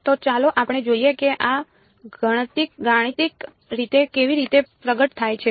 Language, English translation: Gujarati, So, let us let us let us look at how this manifests mathematically